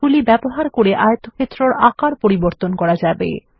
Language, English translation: Bengali, The color of the rectangle has changed